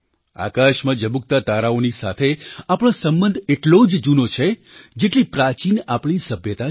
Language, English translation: Gujarati, Our connection with the twinkling stars in the sky is as old as our civilisation